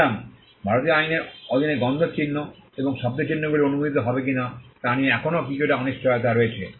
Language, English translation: Bengali, So, there is still some uncertainty as to whether smell marks and sound marks will be allowed under the Indian law